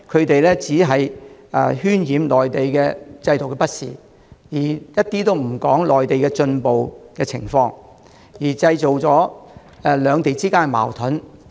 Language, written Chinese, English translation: Cantonese, 反對派只顧渲染內地制度的不善，卻不談內地的進步情況，製造了兩地之間的矛盾。, The opposition camp only seeks to exaggerate the shortcomings of the Mainland system and says nothing about the progress in the Mainland thus stirring up conflicts between the two places